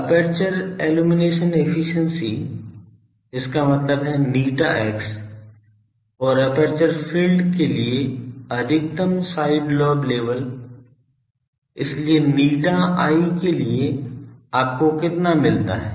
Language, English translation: Hindi, Aperture illumination efficiency; that means, eta x and maximum side lobe level for aperture field, so, for a eta i how much you get